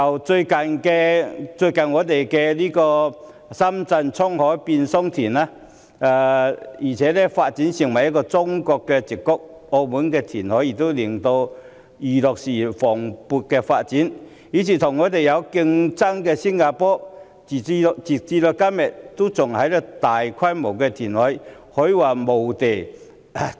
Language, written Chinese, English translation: Cantonese, 與我們最接近的深圳，倉海變桑田，並且發展成中國的矽谷；澳門填海亦促使娛樂事業蓬勃發展，而與我們競爭的新加坡，時至今日仍然大規模填海。, In Shenzhen which is located the closest to us great changes have been witnessed over time and it has developed into the Silicon Valley of China . Reclamation in Macao has also promoted the buoyant development of its entertainment industry . Singapore which is our competitor is still carrying out large - scale reclamation works up till the present